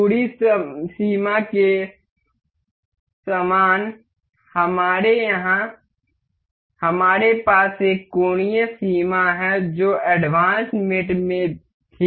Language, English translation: Hindi, Similar to the distance limit, we here we have is angular limit also in the advanced mates